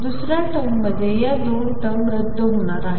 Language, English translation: Marathi, In the second term, these two terms are going to be cancel